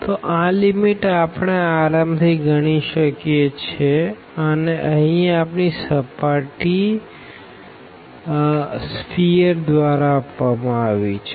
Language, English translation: Gujarati, So, this the lift the limit we can easily now compute for this one and our surface here is given by the sphere